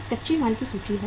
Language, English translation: Hindi, One is inventory of raw material